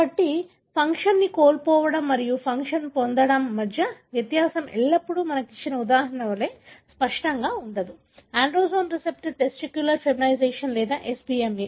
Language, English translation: Telugu, So, the distinction between loss of function and gain of function is not always as clear as example that we have given; androgen receptor, testicular feminisation or SBMA